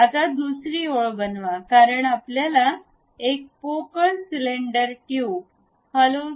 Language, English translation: Marathi, Now, construct another line, because we would like to have a hollow cylinder tube construct that